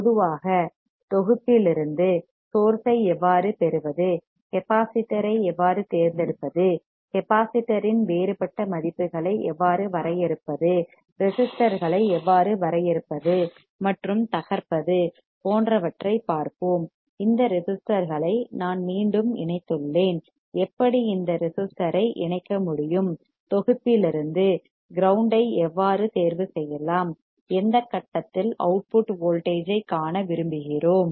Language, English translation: Tamil, In general we will see how we can get the source from the library, how we can select the capacitor, how we can define deferent values of capacitor, how we can define and break the resistors, I have again connected these resistors, how we can connect this capacitor, how we can select the ground from the library, and how at what point we want to see the output voltage